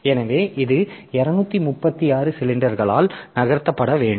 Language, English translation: Tamil, So, it has to move by 236 cylinders